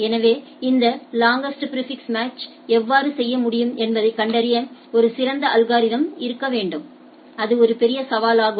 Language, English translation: Tamil, So, we need to have a better algorithm to find out this how this longest prefix match can be done so that is a major challenge